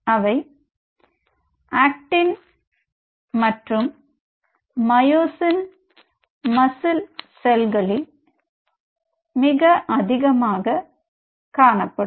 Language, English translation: Tamil, Actin and myosin, which rules most of the muscle cells